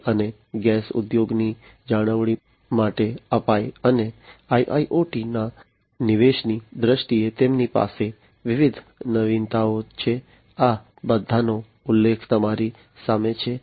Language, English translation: Gujarati, Apache for oil and gas industry maintenance, and the different innovations that they have had in terms of the incorporation of IIoT, these are all mentioned in front of you